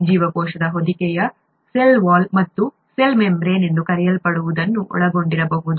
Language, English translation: Kannada, The cell envelope may contain what is called a cell wall and a cell membrane